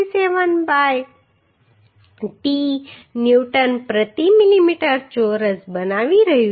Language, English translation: Gujarati, 67 by t Newton per millimetre square